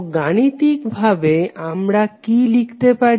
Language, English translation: Bengali, So in mathematical terms what we can write